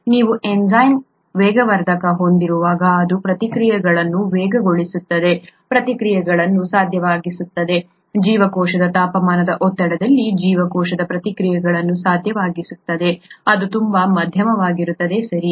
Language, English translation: Kannada, When you have an enzyme a catalyst, it speeds up the reactions, makes reactions possible, make cell reactions possible at the temperature pressure of the cell, which is very moderate, right